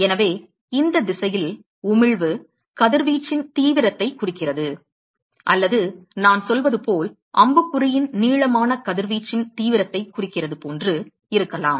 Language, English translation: Tamil, So, the emission in this direction could be the as length of the arrow as if I say that indicates or denotes the intensity of radiation